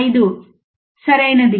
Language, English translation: Telugu, 5 is ok